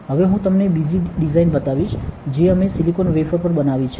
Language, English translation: Gujarati, Now, I will show you another design which we have made on a silicon wafer